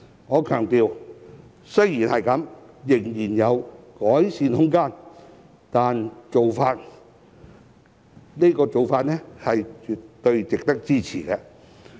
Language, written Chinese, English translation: Cantonese, 儘管如此，我強調仍有改善的空間，但這個做法是絕對值得支持的。, Nevertheless I must stress that there is still room for improvement but this approach is definitely worthy of support